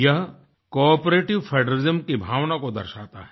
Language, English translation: Hindi, It symbolises the spirit of cooperative federalism